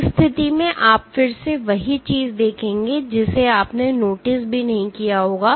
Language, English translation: Hindi, In that case you will again see the same thing you would not even notice